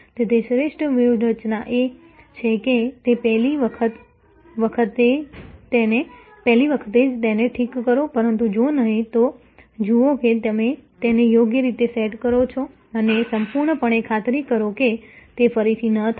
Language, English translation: Gujarati, So, best strategy is to do it right the first time, but if not, then see you set it right and absolutely ensure that, it does not happen again